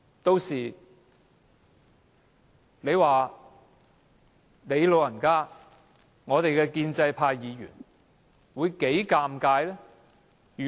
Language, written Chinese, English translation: Cantonese, 屆時你"老人家"及建制派議員會多麼尷尬。, How embarrassing it will be for your goodself and Members of the pro - establishment camp